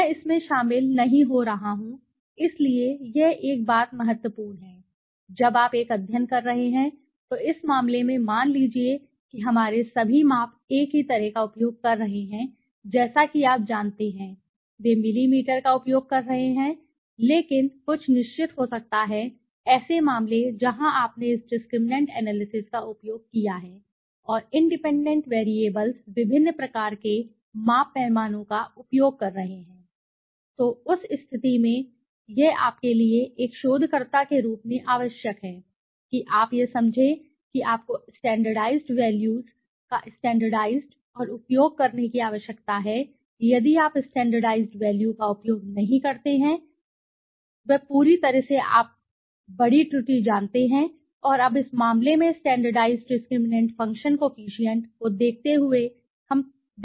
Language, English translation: Hindi, I am not getting into it right, so yeah this is one thing important, when you are doing a study, suppose in this case for example all our measurements were using the same kind of you know scale, they are using millimeters right yes but there could be certain cases where you have used this discriminant analysis and the independent variables are using different kind of measurement scales so in that case it is necessary as a researcher to for you to understand that you need to standardized and use the standardized values if you do not use standardized values you are doing something completely you know big error right and now looking at the standardized discriminate function coefficient in this case we can see